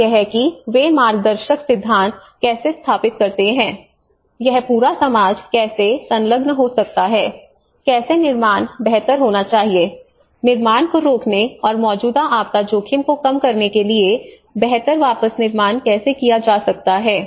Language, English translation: Hindi, And that is how they sort of establish some kind of guiding principles you know how this whole the society could be engaged, how the build back better has to be, the build back better for preventing the creation and reducing existing disaster risk